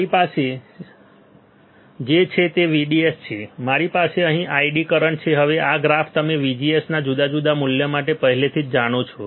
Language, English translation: Gujarati, What I have I have VDS and I have current here ID current here ID now this graph you already know right for different value of VGS